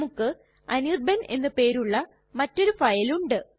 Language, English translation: Malayalam, Say we have another file named anirban